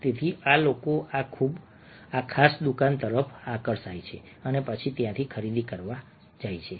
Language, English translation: Gujarati, so this people got attracted to this particular shop and then started buying from there